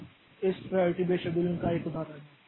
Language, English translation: Hindi, Now, this is an example of this priority based scheduling